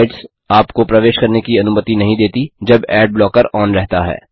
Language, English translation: Hindi, * Some sites do not allow you to enter them when ad blocker is on